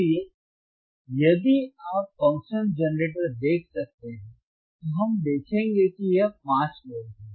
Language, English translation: Hindi, Let him focus on function generator theis is 5 Volt